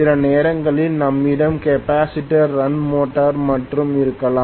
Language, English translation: Tamil, Sometimes we may have only capacitor run motor